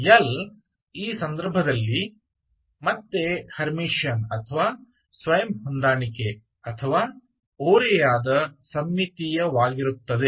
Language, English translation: Kannada, So and you have seen that L will be again Hermitian or Self adjoint or skew symmetric in this case